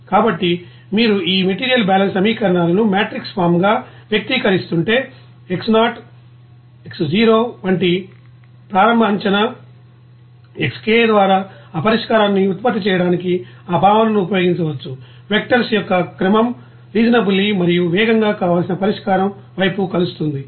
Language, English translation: Telugu, So, if you are expressing this you know material balance equations as a matrix form then you can use this concept to produce you know of that solution just by an initial guess of that like X0 a sequence of vectors Xk that converging towards the desired solution reasonably and also rapidly